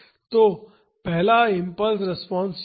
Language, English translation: Hindi, So, the first impulse response is this